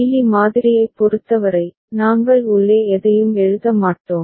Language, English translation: Tamil, For Mealy model, we’ll not write anything inside